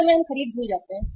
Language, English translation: Hindi, Sometime we forget purchase